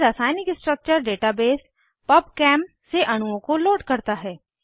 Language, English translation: Hindi, This loads molecules from chemical structure data base PubChem